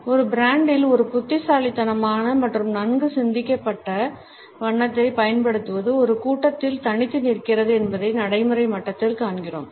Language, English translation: Tamil, At the practical level we find that a clever and well thought out use of color in a brand makes it a standout in a crowd